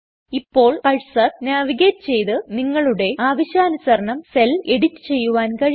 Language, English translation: Malayalam, Now by navigating the cursor, you can edit the cell as per your requirement